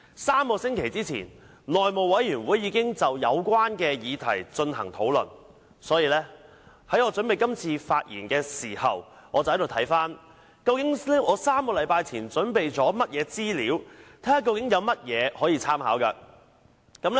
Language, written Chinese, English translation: Cantonese, 三星期前，內務委員會已就有關議題進行討論，所以在我準備今次發言時，我便翻查究竟我在3星期前準備了甚麼資料，看看有甚麼可以參考。, Three weeks ago the subject was already discussed by the House Committee . So when preparing this speech I naturally checked the information prepared by me three weeks ago to see if I could draw any reference from it